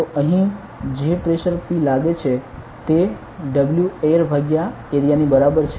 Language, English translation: Gujarati, So, the pressure acting over here P will be is equal to W air correct W air by this area